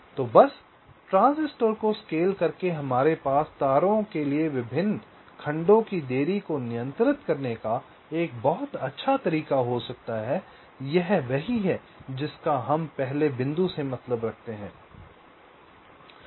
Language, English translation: Hindi, so just by scaling the transistor we can have a very nice way of controlling the delays of the different segments of the wires, right